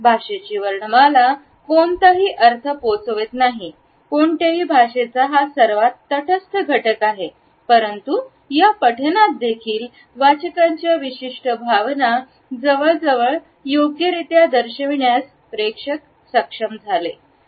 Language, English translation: Marathi, Alphabet of a language does not convey any content at all it is a most neutral component of any language, but even in this recitation audience were able to almost correctly pinpoint the association of a reading with a particular emotion